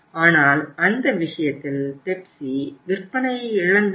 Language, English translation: Tamil, So it means in that case the Pepsi lost the sales